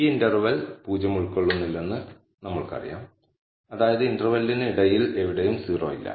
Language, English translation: Malayalam, So now, we know that, this interval does not encompass 0, that is, anywhere between the interval I do not have 0